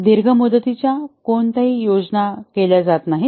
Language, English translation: Marathi, No long term plans are made